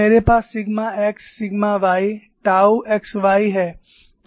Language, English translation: Hindi, I have sigma x sigma y tau x y